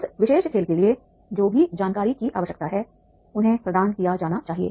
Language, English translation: Hindi, Find information and whatever information is needed for that particular game that should be provided to them